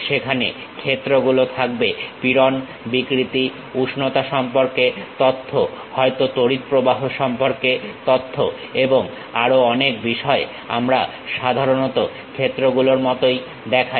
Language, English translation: Bengali, There will be fields, information about stresses, strains, temperature perhaps the information about current and many other things, we usually represent like fields